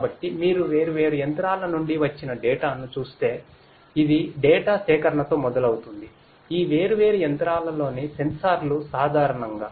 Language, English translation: Telugu, So, it starts with a collection of data if you look at which comes from different machines, the sensors in these different machines typically